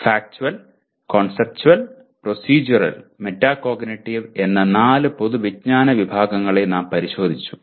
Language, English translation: Malayalam, We looked at four general categories of knowledge namely Factual, Conceptual, Procedural, and Metacognitive